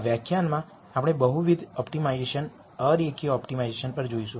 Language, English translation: Gujarati, In this lecture we will look at multivariate optimization non linear optimization